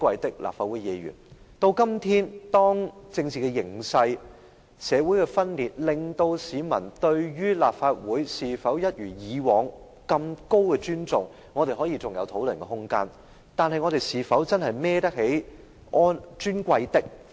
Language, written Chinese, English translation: Cantonese, 到了今天，由於政治形勢、社會分裂，市民對立法會是否仍一如以往般有極高的尊重，尚有可作討論的空間，但我們是否真能堪當這個"尊貴的"的稱呼呢？, Today as a result of the latest political situation and social division there is room for discussion on the question of whether members of the public still have high respect for the Legislative Council as in the past but are we really deserved to be called Honourable Members?